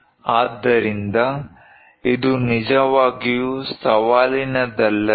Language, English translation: Kannada, So, is it not really challenging